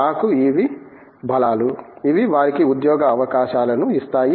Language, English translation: Telugu, To me these are the strengths, which give them the job opportunities